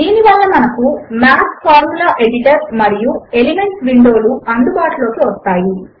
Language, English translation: Telugu, This brings up the Math Formula Editor and the Elements window